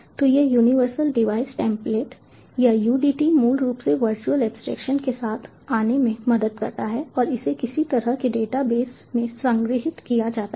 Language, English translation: Hindi, so this universal device template, or the udt, basically helps in coming up with the abstraction, the virtual abstractions, and that is stored in some kind of a database